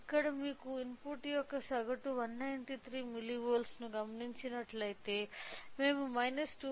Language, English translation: Telugu, So, here if you observe the mean of input is of 193 milli volt we are getting a close to the mean of minus 2